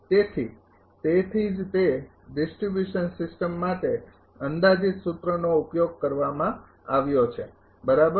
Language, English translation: Gujarati, So, that is why that approximate formula is used for distribution system right